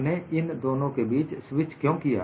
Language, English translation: Hindi, Why we switch between the two